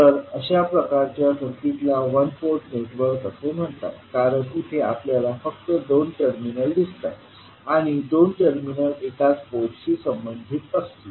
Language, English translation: Marathi, So, these kind of circuits are called as a one port network because here we see only two terminals and two terminals will correspond to one single port